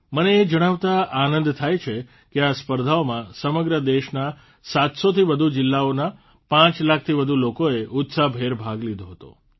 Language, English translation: Gujarati, I am glad to inform you, that more than 5 lakh people from more than 700 districts across the country have participated in this enthusiastically